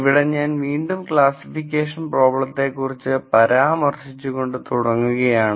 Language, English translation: Malayalam, I will first start by discussing classification problems again